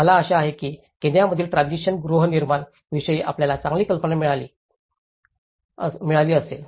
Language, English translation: Marathi, I hope you got a better idea on transitional housing in Kenya